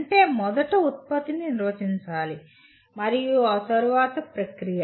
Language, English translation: Telugu, That means first the product has to be defined and then the process